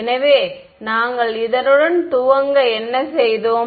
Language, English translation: Tamil, So, what did we start with